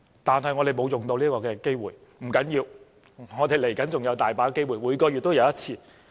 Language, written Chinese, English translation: Cantonese, 但是，我們沒有利用這個機會，不要緊，我們接着還有很多機會，每月也有1次。, However no one seized that opportunity . But it does not matter because we will have many such opportunities and we will have it once a month